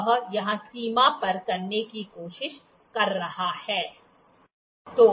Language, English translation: Hindi, It is trying to cross the line here